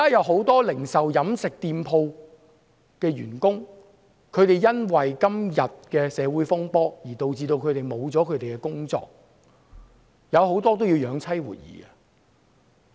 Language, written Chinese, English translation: Cantonese, 很多零售、飲食店鋪的員工因為現時的社會風波而導致失去工作，他們很多人還要養妻活兒。, Many employees of the retail and catering sectors have lost their jobs because of the current social turmoil . Many of them have to support their families